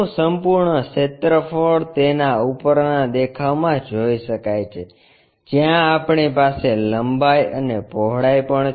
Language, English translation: Gujarati, The complete area one can really see it in the top view, where we have that length and also breadth